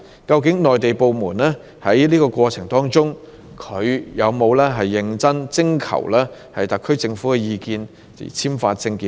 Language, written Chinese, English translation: Cantonese, 究竟內地部門在簽發證件的整個過程中，有否認真徵求特區政府的意見呢？, Have the Mainland authorities seriously consulted the SAR Government during the whole process in issuing OWPs?